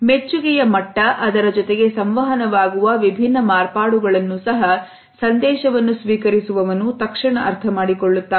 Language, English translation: Kannada, The level of appreciation and at the same time different variations are also immediately understood by the receiver